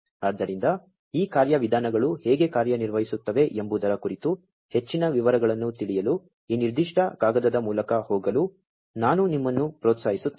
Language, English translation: Kannada, So, I would encourage you to go through this particular paper to learn more details about how this these mechanisms work